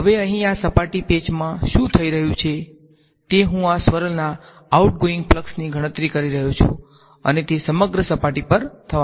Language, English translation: Gujarati, Now in this surface patch over here, what is happening is I am calculating the outgoing flux of this swirl and it is to be done over the whole surface